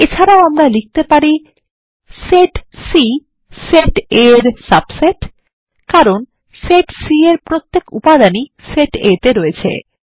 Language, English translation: Bengali, And we can also write: set C is a subset of set A, as every element in C is in set A